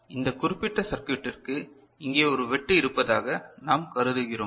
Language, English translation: Tamil, So, here for this particular circuit we consider there is a cut over here